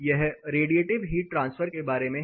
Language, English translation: Hindi, This is about radiative heat transfer